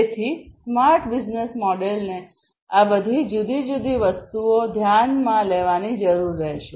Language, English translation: Gujarati, So, a smart business model will need to take into consideration all of these different things